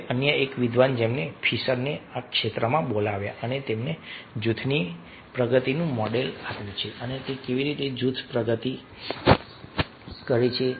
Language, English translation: Gujarati, now another scholar who called fisher in this area and he has given a model of group progression, how the group progresses